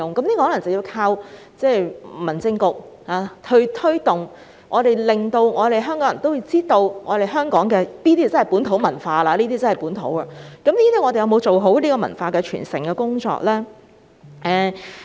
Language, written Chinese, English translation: Cantonese, 這可能真的有賴民政事務局作出推動，讓香港人了解香港的本土文化，但政府有否做好文化傳承的工作呢？, Promotional efforts from the Home Affairs Bureau may be needed to enhance Hong Kong peoples understanding of local culture but has the Government done a good job in promoting cultural heritage?